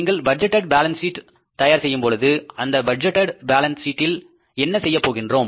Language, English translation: Tamil, When you prepare the budgeted balance sheet, what we do in the budgeted balance sheet